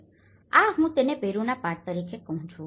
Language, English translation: Gujarati, So, this I call it as lessons from Peru